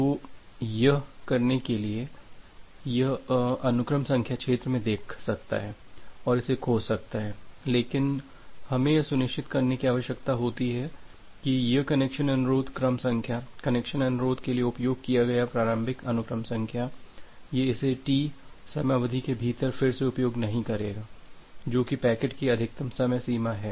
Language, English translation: Hindi, So, to do that it can look into the sequence number field and it can find it out, but we need to ensure here that this connection request sequence number, the initial sequence number that has been utilized for connection request, it is not going to re use within a time duration T which is the maximum packet life time in the network